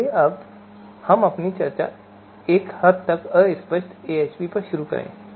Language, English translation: Hindi, So now let us start our discussion on fuzzy AHP